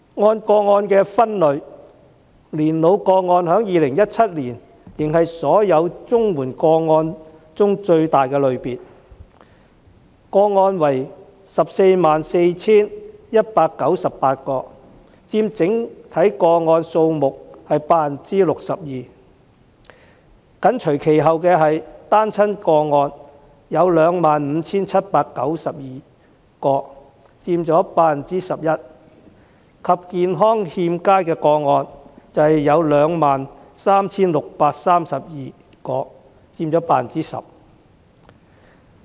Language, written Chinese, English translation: Cantonese, 按個案類別分析，在2017年，年老個案仍是所有綜援個案中最大的類別，有 144,198 宗，佔整體個案數目 62%； 緊隨其後的是單親個案，有 25,792 宗，佔 11%， 以及 23,632 宗健康欠佳個案，佔 10%。, In the analysis by case types in 2017 old age cases remained the largest type among all CSSA cases numbering at 144 198 cases and accounting for 62 % of the total number of cases followed by single parent cases which stood at 25 792 cases and accounted for 11 % and then 23 632 ill - health cases which accounted for 10 %